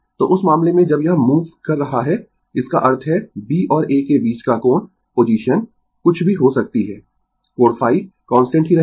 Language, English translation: Hindi, So, in that case, as this is moving when; that means, angle between B and A whatever may be the position angle phi will remain constant